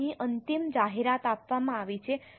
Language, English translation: Gujarati, Now here the final disclosure is given